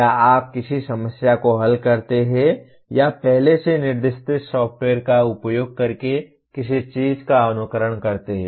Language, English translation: Hindi, Or you solve a problem or simulate something using a pre specified software